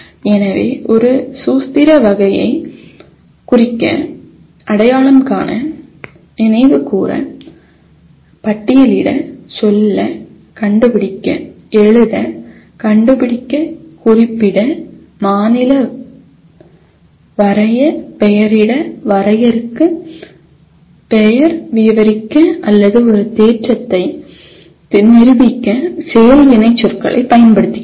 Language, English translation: Tamil, So we use the action verbs to indicate a remember type of activity, recognize, recall, list, tell, locate, write, find, mention, state, draw, label, define, name, describe, or even prove a theorem